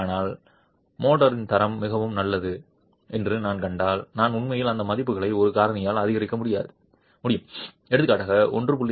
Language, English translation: Tamil, But then if I see that the quality of motor is really good, then I can actually increase those values by a factor for example 1